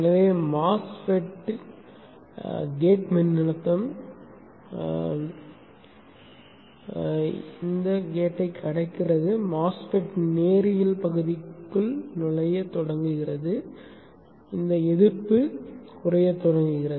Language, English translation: Tamil, So the mass fat, the gate voltage crosses the threshold, the MOSFIT starts entering into the linear region, this resistance starts decreasing